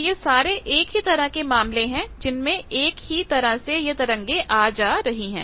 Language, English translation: Hindi, So, all these cases are the same type of thing that waves they are going and coming back